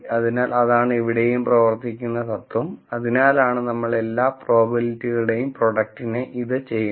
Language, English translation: Malayalam, So, that is the principle that is also operating here, that is why we do this product of all the probabilities